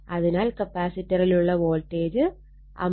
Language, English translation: Malayalam, Therefore, voltage across the capacitor will be 50 into 0